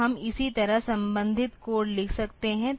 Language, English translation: Hindi, So, we can just write the corresponding code like this